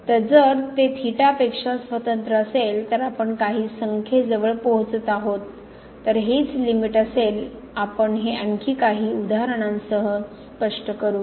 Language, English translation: Marathi, So, here if it is independent of theta we are approaching to some number then that would be the limit we will explore this in some more example